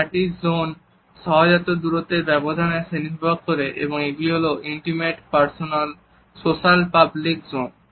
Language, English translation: Bengali, These four zones are a classificatory system for instinctive spacing distances and they are intimate, personal, social and public zones